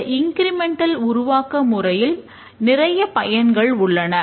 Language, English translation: Tamil, The incremental development has many advantages